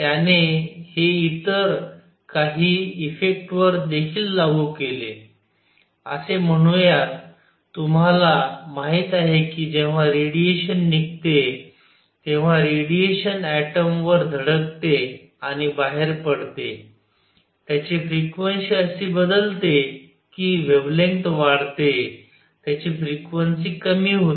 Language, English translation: Marathi, He also applied it to some other effects; call the; you know when the radiation goes out, radiation hits an atom and goes out, its frequency changes such that the wavelength increases its frequency goes down